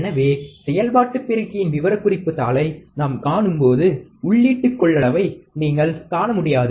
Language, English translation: Tamil, So, when we see a specification sheet of an operational amplifier, you may not be able to see the input capacitance